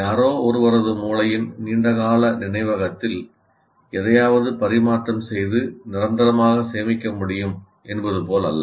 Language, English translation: Tamil, It is not as if something can be transferred and permanently stored in the long term memory of anybody's brain